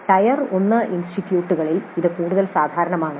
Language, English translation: Malayalam, This is more common in Tyre 1 institutes